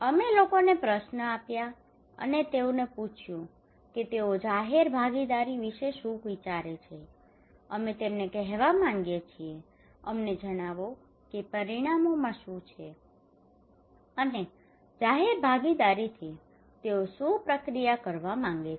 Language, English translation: Gujarati, We gave questions to the people and asking them that what they think about the public participations, we wanted to tell them that tell us that what are the outcomes and what are the process they want from public participations